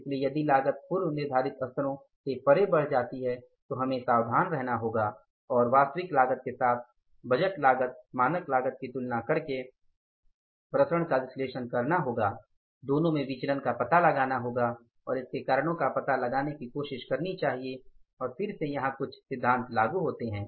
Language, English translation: Hindi, So, if the cost increases beyond the pre decided levels then we have to be careful, analyze the variances by comparing the budgeted cost, standard cost with the actual cost, find out the variances or the, means the deviations in the two and try to find out the reasons for those variances and again same principle applies here